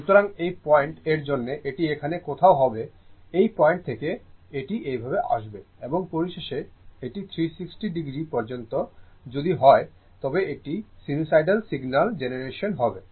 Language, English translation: Bengali, So, for this point it will be somewhere here, from this point it will this way it will coming and finally, it up to 360 degree if you do, it will be a sinusoidal your what you call generation signal generation, right